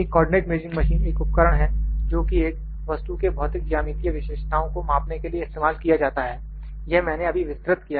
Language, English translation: Hindi, Now, I like to move to a co ordinate measuring machine A co ordinate measuring machine is a device for measuring the physical geometrical characteristics of an object this I have just explained